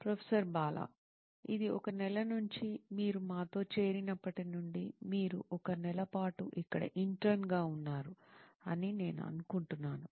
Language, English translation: Telugu, It’s been what about a month, since you joined us, you have been an intern here for a month, I think